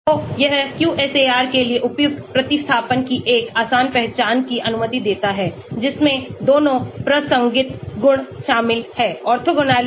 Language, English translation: Hindi, So, it allows an easy identification of suitable substituents for QSAR which includes both relevant properties